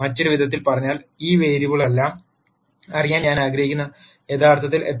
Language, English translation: Malayalam, In other words, I would really like to know of all these variables, how many are actually independent variables